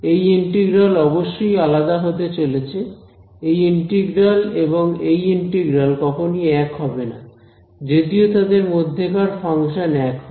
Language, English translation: Bengali, This integral is of course, going to be different right this integral and this integral they are not going to be the same because even that the function sitting inside the same